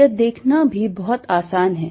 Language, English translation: Hindi, that is also very easy to see